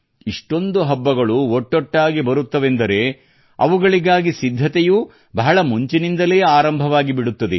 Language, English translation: Kannada, When so many festivals happen together then their preparations also start long before